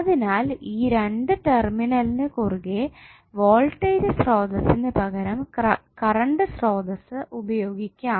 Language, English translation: Malayalam, So instead of voltage source across these two terminals you will apply one current source